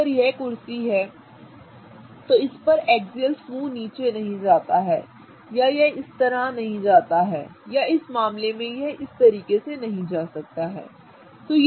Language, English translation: Hindi, So, if this is the chair, right, the axial group on this one does not go down or it doesn't go like this, right